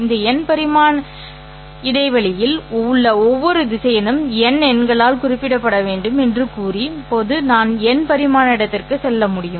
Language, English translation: Tamil, Now, I can go to n dimensional space by saying that every vector in this n dimensional space must be specified by n numbers